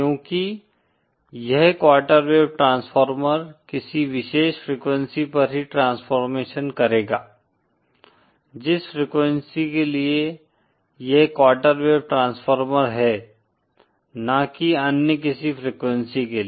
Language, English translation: Hindi, Because this quarter wave transformer will provide the transformation only at a particular frequency, the frequency for which it is a quarter wave transformer and not for other frequencies